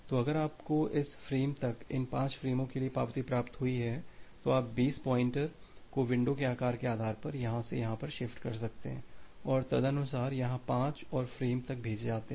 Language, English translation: Hindi, So, if you received the acknowledgement for these 5 frames up to this frame then, you can shift the base pointer from here to here and accordingly the window size becomes here to 5 more frames up to here